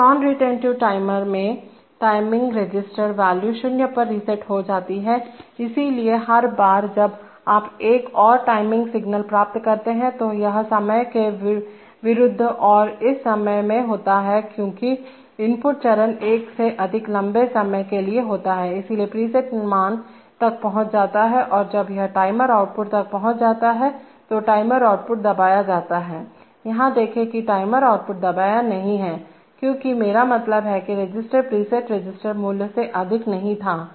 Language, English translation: Hindi, So in, non retentive timers, the timing register value is reset to zero, so every time you get another timing signal, it against times and in this time because the input stage one for a much longer time, so the preset values is reached and when it is reached the timer output is, the timer output is asserted, see here the timer output is not asserted because the I mean the register did not exceed the preset register value